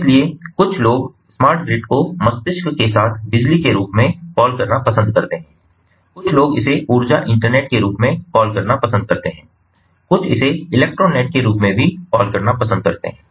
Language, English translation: Hindi, so some people prefer to call smart grid as electricity with brain, some people prefer to call it as the energy internet, some even prefer to call it as the electro net